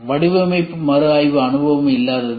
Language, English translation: Tamil, Lack of design review experience